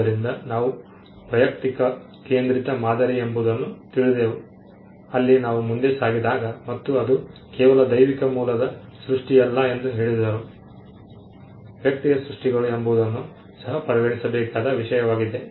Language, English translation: Kannada, So, we came to an individual centric model where we moved forward and said that it is not just creation that is of divine origin, that matters even the creations by the individual itself could be a thing to be considered